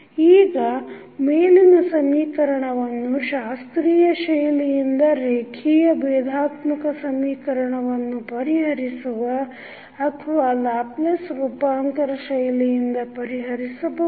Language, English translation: Kannada, Now, the above equation can be solved using either the classical method of solving the linear differential equation or we can utilize the Laplace transform